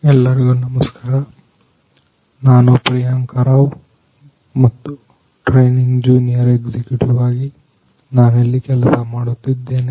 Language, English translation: Kannada, Hello everyone myself Priyanka Rao and I am working here as training junior executive